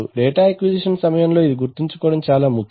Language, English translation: Telugu, This is important to remember during data acquisition